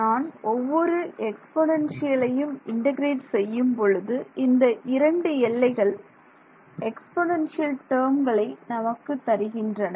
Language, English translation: Tamil, Four terms each exponential when I integrate, I will get an exponential the two the limits will give me two terms